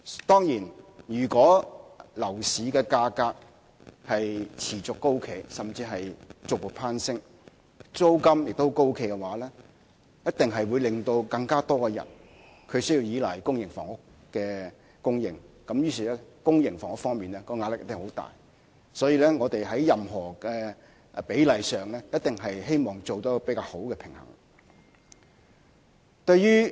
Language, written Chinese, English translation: Cantonese, 當然，如果樓市的價格持續高企，甚至是逐步攀升，而租金亦高企，一定會令更多人要依賴公營房屋的供應，以致增加興建公營房屋的壓力，所以我們在釐定這比例時，希望能達致較好的平衡。, Of course if the high property price persists or even continues to rise and rent also remains on the high side more people will rely on the supply of public housing which will exert a greater pressure on the production of public housing . Hence this split was set in the hope of striking a better balance